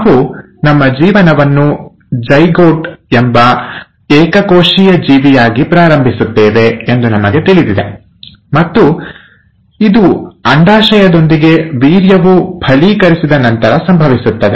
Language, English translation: Kannada, Now we all know that we start our life as a single celled organism that is the zygote and this happens after the fertilization of sperm with the ova